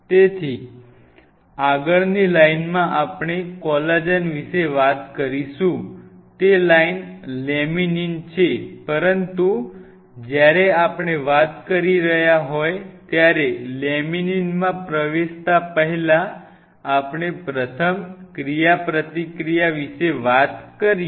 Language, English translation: Gujarati, So, next in the line once we talk about collagen next in that line is laminin, but before I get into laminin when we were talking about we talked about the first interaction is this interaction